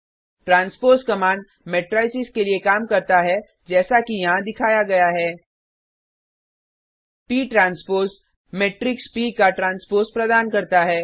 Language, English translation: Hindi, The transpose command works for the matrices as well as shown here#160: p transpose gives the transpose of matrix p